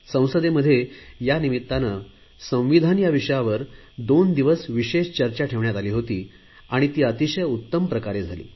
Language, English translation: Marathi, We organized a two day special discussion on the constitution and it was a very good experience